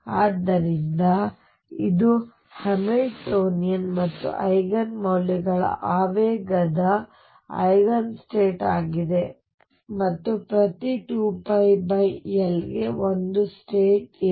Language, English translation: Kannada, So, it as the Eigen state of both the Hamiltonian and the momentum with the Eigen values being here and every 2 pi by L there is a state